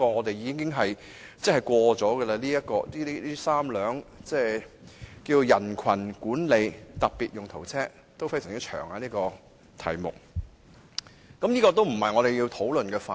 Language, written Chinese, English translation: Cantonese, 其實，警方已獲准採購3輛"人群管理的特別用途車"，因此，這絕非我們要討論的範圍。, In fact as approval had already been given to the Police for purchasing three specialized crowd management vehicles that is not the scope we should be discussing today